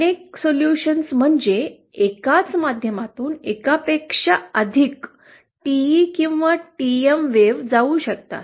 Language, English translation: Marathi, Multiple solutions means, there can be more than one TE or TM wave passing through the same medium